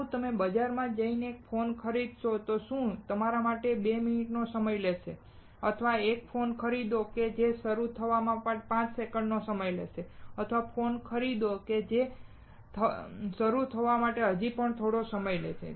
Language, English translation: Gujarati, Would you go to the market and buy a phone that takes 2 minutes to start or will you buy a phone that takes five seconds to start or will you buy a phone that takes even smaller time to start